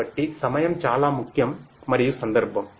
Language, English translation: Telugu, So, timing is very important and the context